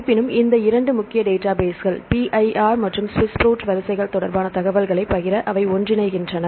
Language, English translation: Tamil, Although, these 2 major databases PIR and SWISS PROT; they merge together to share the information regarding protein sequences